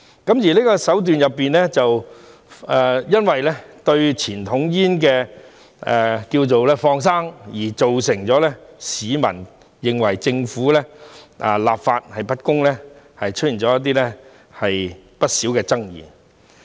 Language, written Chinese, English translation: Cantonese, 就這個手段，由於政府"放生"傳統煙，造成市民認為政府立法不公而出現不少爭議。, Such a move has given rise to quite a lot of controversies because members of the public think the Government is being unfair in enacting legislation since the Government has let go conventional cigarettes